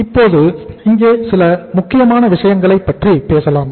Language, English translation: Tamil, Now let us talk about certain important points here